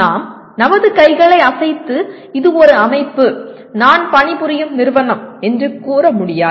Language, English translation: Tamil, We cannot wave our hands and say it is a system, the company that I am working for and so on